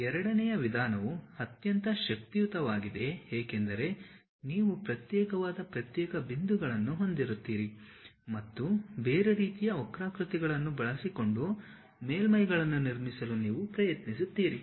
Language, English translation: Kannada, The second method is most powerful because you will be having isolated discrete points and you try to construct surfaces using different kind of curves through which